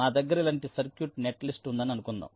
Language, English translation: Telugu, suppose i have a circuit, netlist, like this